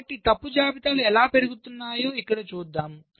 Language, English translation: Telugu, so here we shall see how fault lists are propagated